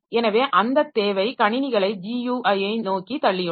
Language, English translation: Tamil, So, that requirement has pushed the systems towards G U I